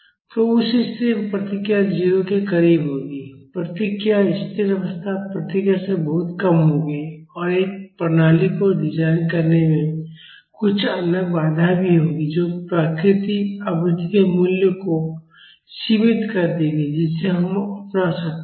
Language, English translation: Hindi, So, in that case, the response will be close to 0; the response will be even much lesser than the steady state response and in designing a system, there will also be some other constraints which will limit the value of the natural frequency which we can adopt